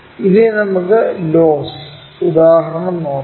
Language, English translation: Malayalam, Now, let us look at the loss example